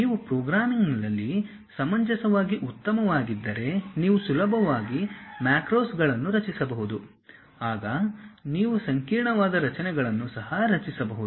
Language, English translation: Kannada, If you are reasonably good with programming and you can easily construct macros then you can build even complicated structures